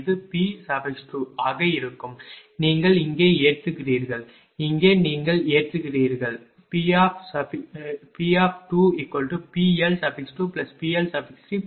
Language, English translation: Tamil, It will be P 2 will be here you have load here you have load here you P L 2 plus P L 3 plus P L 4